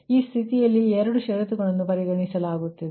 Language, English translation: Kannada, so that way, this condition, two conditions are considered right